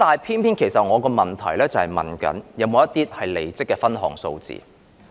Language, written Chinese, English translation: Cantonese, 可是，我的主體質詢是問有否關於離職的分項數字。, However I have asked about the breakdown of staff departure figures in the main question